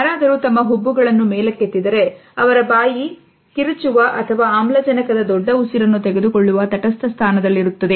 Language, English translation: Kannada, Someone will raise their eyebrows, but their mouth will also be in a neutral position to either scream or taking a big breath of oxygen